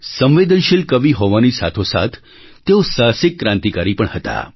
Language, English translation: Gujarati, Besides being a sensitive poet, he was also a courageous revolutionary